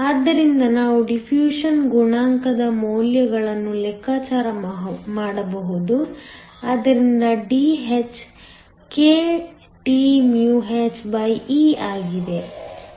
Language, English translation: Kannada, So, then we can calculate the values for the diffusion coefficient, so that Dh is kThe